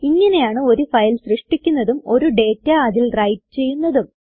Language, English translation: Malayalam, This is how we create a file and write data into it